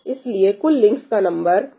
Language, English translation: Hindi, So, total number of links is n square by 4